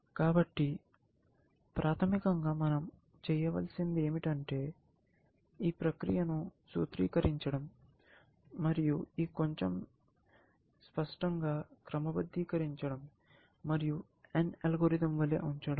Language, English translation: Telugu, So, basically, what we need to do is to formulize this process, and sort of make this little bit clearer and put it down as n algorithm